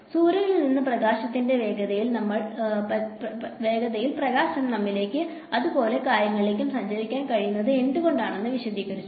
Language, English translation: Malayalam, And that explained why light is able to travel at the speed of light from the sun to us and things like that